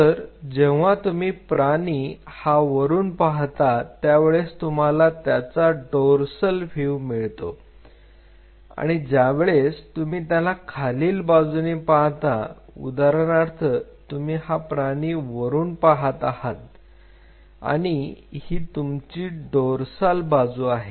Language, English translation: Marathi, So, when you see the animal from the top you get a dorsal view when you see from the bottom see for example, you are seeing the animal from the top, this gives you a dorsal view